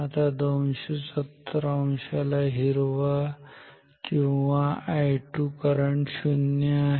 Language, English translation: Marathi, So, for 270 degree green or I 2 current is 0